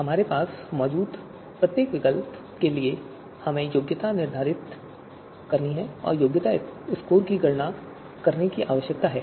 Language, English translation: Hindi, So for each of the alternatives that we have, we need to compute the qualification score